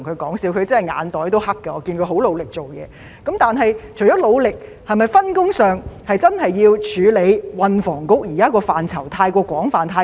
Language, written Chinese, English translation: Cantonese, 但是，除了官員努力工作，在分工上，政府是否真的要處理運房局現在工作範疇太多又太廣泛的問題呢？, Anyway apart from relying on his hard work shouldnt the Government do something about the excessively wide and enormous scope of responsibilities currently assigned to the Transport and Housing Bureau?